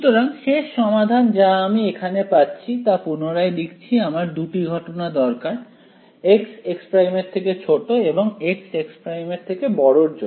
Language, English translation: Bengali, So, the final solution that I get over here I can write it again I will need two cases right for a x less than x prime and x greater than x prime